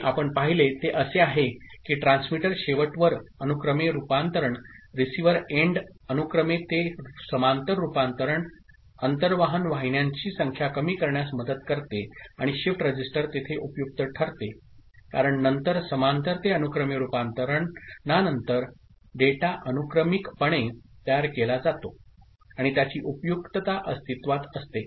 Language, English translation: Marathi, What we have seen is that parallel to serial conversion at transmitter end, serial to parallel conversion at receiver end help in reducing number of transmission channels and shift register comes useful there because after parallel to serial conversion then the data is made serially out and their lies its utility